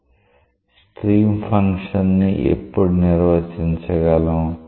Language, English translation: Telugu, So, when is stream function defined